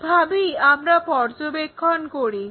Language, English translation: Bengali, This is the way we observe